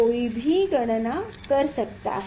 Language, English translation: Hindi, one can calculate